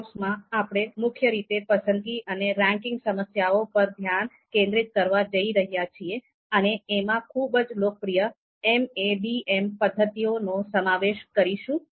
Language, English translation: Gujarati, So overall in this course, we are going to mainly focus on choice and ranking problems and we are going to cover most popular MADM methods